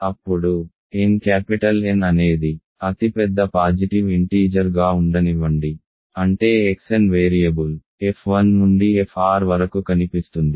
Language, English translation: Telugu, Then, let N capital N be the largest positive integer such that the variable X N appears in f 1 through f r